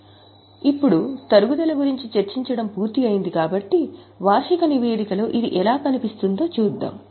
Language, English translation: Telugu, Now having discussed about depreciation, let us have a look at how it appears in the annual report